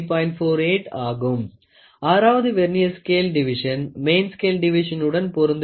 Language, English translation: Tamil, 48, the 6th of the Vernier scale division is coinciding with an with any main scale division